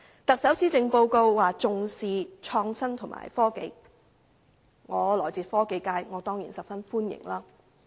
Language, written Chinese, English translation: Cantonese, 特首的施政報告表示重視創新及科技，我來自科技界，對此當然十分歡迎。, The Chief Executives Policy Address has stated that importance is attached to innovation and technology . Coming from the science and technology sector I certainly very much welcome this